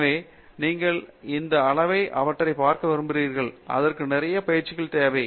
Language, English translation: Tamil, So, you would like to see these materials at that level and that needs a lot of training